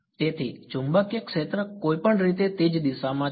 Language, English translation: Gujarati, So, magnetic field anyway is in the same direction